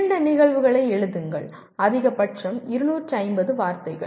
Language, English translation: Tamil, Write two instances, maximum 250 words each